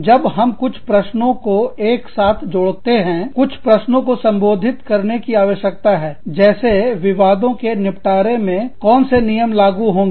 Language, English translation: Hindi, When we collaborate, some questions, that we need to address are, what rules will apply, to the resolution of disputes